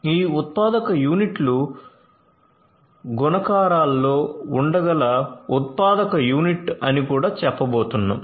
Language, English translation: Telugu, We are also going to have let us say a manufacturing unit; these manufacturing units can be in multiples